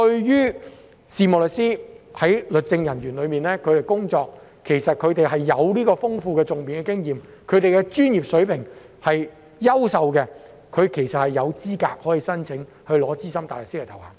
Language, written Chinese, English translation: Cantonese, 任職律政人員的事務律師其實具有豐富的訟辯經驗，專業水平優秀，其實他們有資格申請獲取資深大律師的頭銜。, Solicitors who work as legal officers actually have rich experience in advocacy and are of excellent professional standard . In fact they are qualified for the title of SC . We should look at this matter from this angle